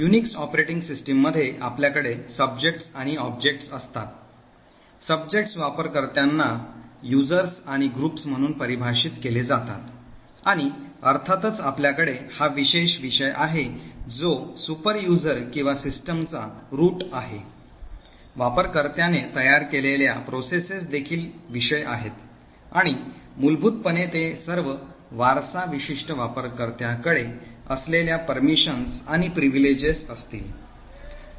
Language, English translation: Marathi, So in Unix operating system you have subjects and objects, subjects are defined as users and groups and of course we have this special subject which is the superuser or the root of the system, processes that a user creates are also subjects and essentially they inherit all the permissions and privileges that particular user has